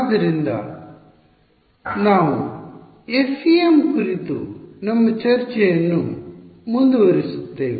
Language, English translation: Kannada, So we will continue our discussion of the FEM